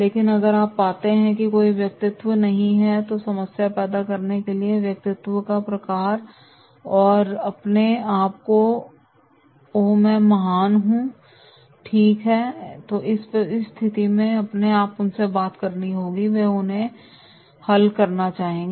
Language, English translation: Hindi, But if you find that is no it is the personality, it is the type of personality to create the problem and think oneself “Oh I am the great” right so then in that case you have to talk to them and then resolve them